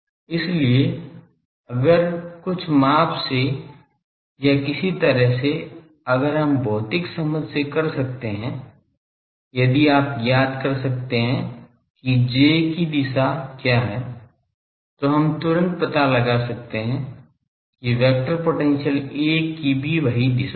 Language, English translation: Hindi, So, the if from some measurement or somehow if we can for by physical understanding if you can find what is the direction of J, we are finding immediately that the vector potential A that will also have that same direction